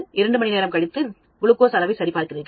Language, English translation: Tamil, After two hours, you again check there glucose level